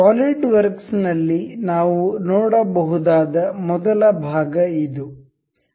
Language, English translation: Kannada, In solidworks the first part we can see